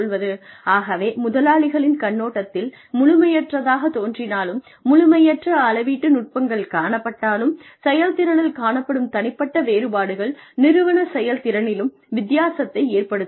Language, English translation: Tamil, s perspective, despite imperfect measurement techniques, individual differences in performance can make a difference to the company performance